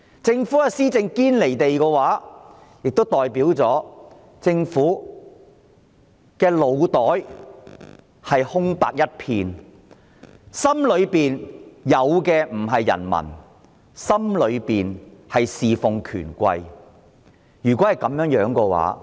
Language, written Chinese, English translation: Cantonese, 政府施政一旦"堅離地"，便代表政府的腦袋空白一片，在它的心中沒有人民，只想着侍奉權貴。, If government policies are unrealistic it shows that the Government does not have any ideas as to what to do nor does it have its people in mind . It also shows that the Government only cares about serving the powerful and the rich